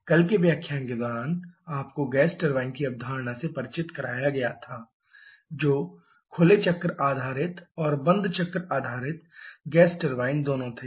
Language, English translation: Hindi, During yesterday's lecture you were introduced to the concept of a gas turbine both open cycle based and closed cycle based gas turbine